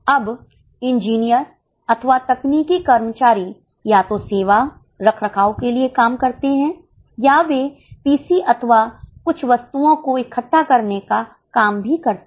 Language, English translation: Hindi, Now, number of engineers or technical personnel either work for servicing maintenance or they also work for assembling of PCs or certain items